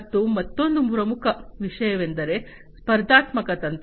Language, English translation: Kannada, And also another very important thing is the competitive strategy